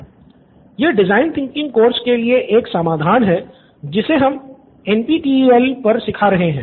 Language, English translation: Hindi, This is a solution for design thinking course we are teaching on NPTEL